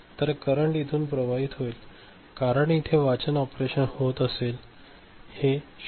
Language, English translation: Marathi, So, the current now will be flowing, because this will be doing read operation, 0